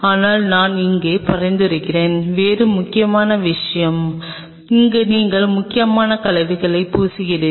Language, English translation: Tamil, But what I will recommend here is something else where you are plating the cells that is important